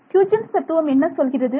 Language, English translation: Tamil, What is the Huygens principle tell you